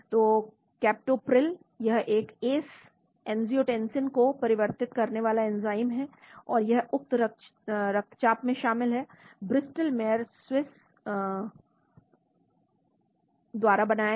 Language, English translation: Hindi, So Captopril this is a ACE , angiotensin converting enzyme, and it is involved in Hypertension made by Bristol Mayers Squibb